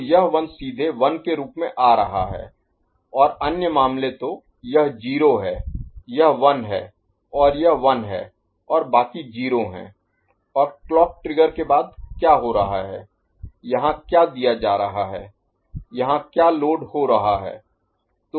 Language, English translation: Hindi, So, this 1 is coming directly as 1 right and the other cases so, this is 0 this is 1 and this is 1 and rest are 0 and after the clock trigger what is happening, what is getting fed here, what is getting loaded here